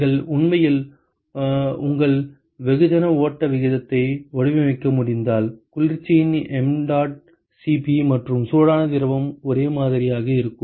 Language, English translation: Tamil, If you can actually design your mass flow rate such that the mdot Cp of the cold and the hot fluid are same